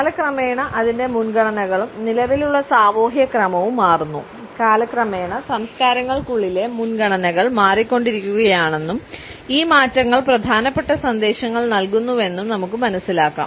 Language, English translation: Malayalam, Its preferences and regime change over time through the passage of time we find that the preferences within cultures keep on changing and these changes imparts important messages